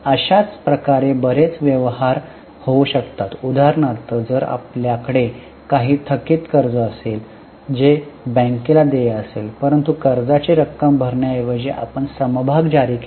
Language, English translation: Marathi, For example, if we have some outstanding loan which is payable to the bank, but instead of paying the loan amount we issued shares